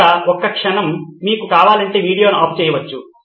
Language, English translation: Telugu, A moment here you can pause the video if you want